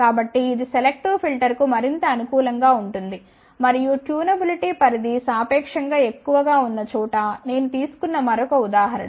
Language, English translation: Telugu, So, it is more suitable for the selective filter and the another example I have taken where the tunability range is relatively more